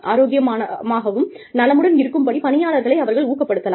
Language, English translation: Tamil, They can encourage people, to stay healthy, and stay well